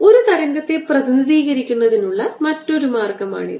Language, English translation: Malayalam, so this is another way of representing a wave